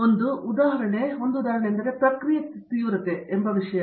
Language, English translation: Kannada, And one example is something called Process intensification